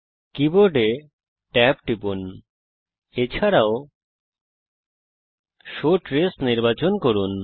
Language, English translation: Bengali, Hit tab on the keyboard, also select the show trace on